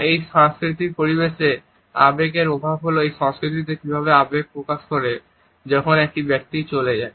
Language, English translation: Bengali, In this cultural setting, the emotion or the lack of it is how that culture expresses emotion when a person passes away